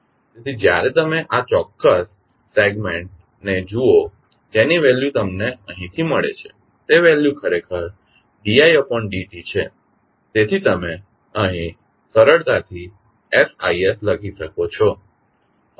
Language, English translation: Gujarati, So, when you see this particular segment the value which you get from here is actually the value of i dot, so you can simply write S into i s here